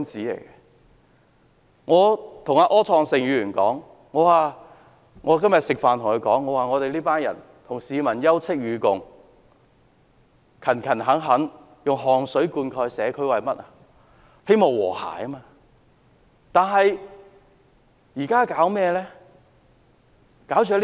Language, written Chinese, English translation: Cantonese, 今天與柯創盛議員共膳時，我說我們與市民休戚與共，並勤懇地以汗水灌溉社區，無非是為了和諧。, During a meal with Mr Wilson OR today I said that we stood together with the people through thick and thin and sought to achieve harmony in the community with our sweat and toil